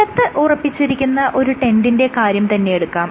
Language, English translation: Malayalam, So imagine this tent which is firmly secured in this ground